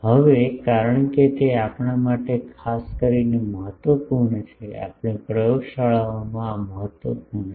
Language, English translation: Gujarati, Now, since it is so, important particularly for us, we in laboratories this is important